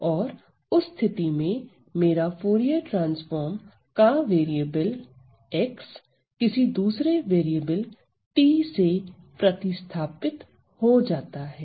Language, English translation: Hindi, And in that case, my variable x in the Fourier transform is going to be replaced by another variable t